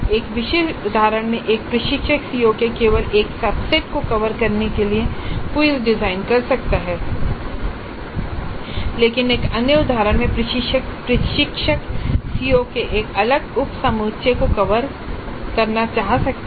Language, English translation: Hindi, In a specific instant an instructor may design quizzes to cover only a subset of the COs but in another instance the instructor will wish to cover a different subset of COs